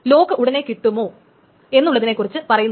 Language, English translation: Malayalam, It doesn't mean that the lock is got immediately